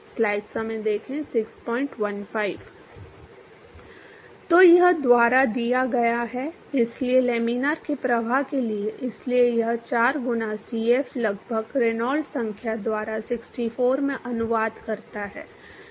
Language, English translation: Hindi, So, that is given by, so for laminar flow, so this 4 times Cf approximately translates to 64 by the Reynolds number